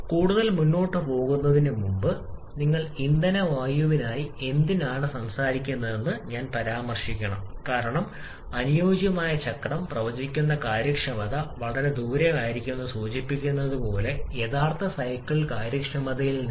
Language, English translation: Malayalam, And before moving any further I should mention why you are talking so much for the fuel air cycle because as a just mentioned that efficiency predicted by the ideal cycle can be far off from the actual cycle efficiency